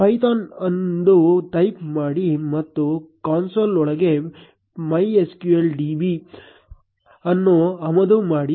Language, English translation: Kannada, Type python and inside the console, import MySQL db